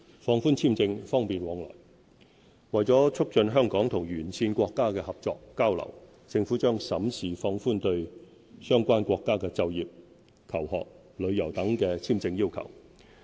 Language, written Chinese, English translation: Cantonese, 放寬簽證、方便往來為了促進香港與沿線國家的合作交流，政府將審視放寬對相關國家的就業、求學、旅遊等的簽證要求。, To foster cooperation and exchanges between Hong Kong and countries along the Belt and Road the Government will consider relaxing visa requirements for nationals of those countries for employment study and visit